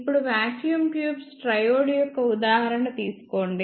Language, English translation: Telugu, Now, take an example of vacuum tube triode